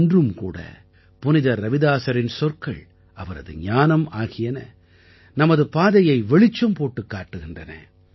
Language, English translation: Tamil, Even today, the words, the knowledge of Sant Ravidas ji guide us on our path